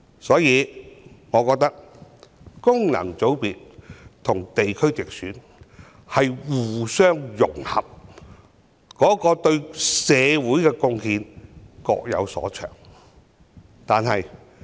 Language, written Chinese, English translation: Cantonese, 所以，我覺得功能界別和地區直選是互相融合，對社會的貢獻各有所長。, Hence I think FCs and GCs should complement each other each making their own unique contributions to society